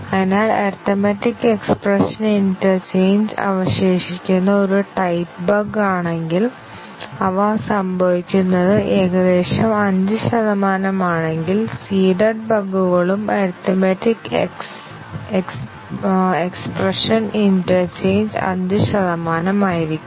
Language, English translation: Malayalam, So, if the arithmetic expression interchange is a type of bug that remains, then and their occurrence is about 5 percent then, the seeded bugs would also be arithmetic expression interchange be 5 percent